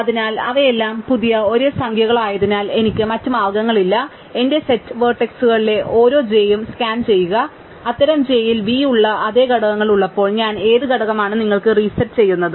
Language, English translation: Malayalam, So, that they are all the same component, so I have no choice, but to scan every j in my set of vertices and whenever such a j has the same components as v I reset which component to u